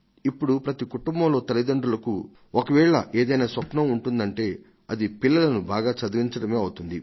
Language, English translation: Telugu, Today in every home, the first thing that the parents dream of is to give their children good education